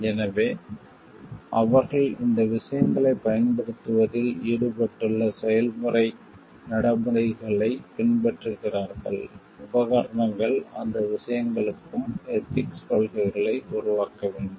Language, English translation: Tamil, So, that they follow the processes procedures involved in using these things equipments, needs to be ethical policies needs to be formulated, for those things also